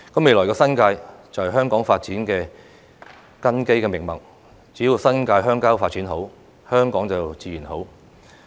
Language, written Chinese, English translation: Cantonese, 未來的新界是香港發展的根基命脈，只要新界鄉郊發展好，香港便自然好。, The New Territories is the foundation and lifeline of the future development of Hong Kong . As long as the New Territories is developed well Hong Kong will prosper